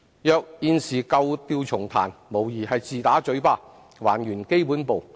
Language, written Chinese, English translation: Cantonese, 如現時舊調重彈，無疑是自打嘴巴，還原基本步。, If we now play the same old tune we are undeniably slapping our own face and returning to the basics